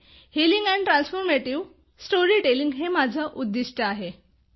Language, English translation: Marathi, 'Healing and transformative storytelling' is my goal